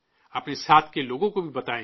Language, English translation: Urdu, Inform those around you too